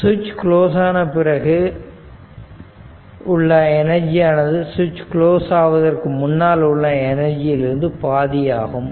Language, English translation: Tamil, So, we see that the stored energy after the switch is closed is half of the value before switch is closed right